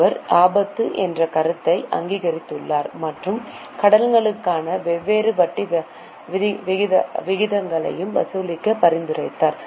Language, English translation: Tamil, He has recognized the concept of risk and suggested that different rate of interest for loans be charged